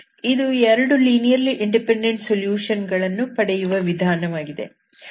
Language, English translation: Kannada, This is how you can find 2 linearly independent solutions